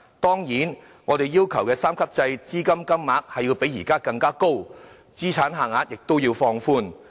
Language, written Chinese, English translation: Cantonese, 當然，在我們要求的三級制下，資助金額須較現時為高，資產限額亦須放寬。, Certainly under the three - tier retirement protection scheme the level of allowance requested is higher and the asset limits will be further relaxed